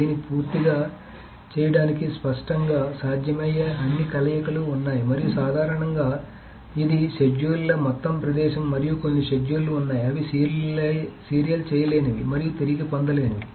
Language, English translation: Telugu, So apparently all possible combinations are there and of course just to complete this this is the entire space of schedules and there are some schedules which are not at all view serializable and not recoverable